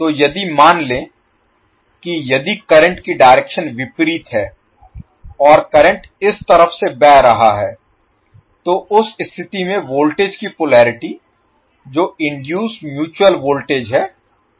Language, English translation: Hindi, So suppose if the direction of the current is opposite and current is flowing from this side in that case the polarity of the voltage that is induced mutual voltage would be like this